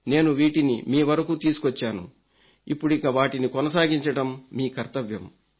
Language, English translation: Telugu, I have brought them to you, now it is your job to keep them going